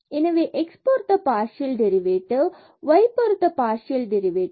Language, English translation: Tamil, So, the partial derivative with respect to x is 1 and the partial derivative with respect to y is 2